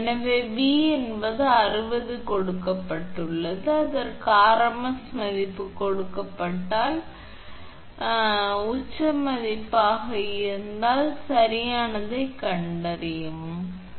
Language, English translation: Tamil, So, V is 60 is given right, if it is given rms value find out in rms if it is peak value find out in peak value right, your 60 into alpha is 1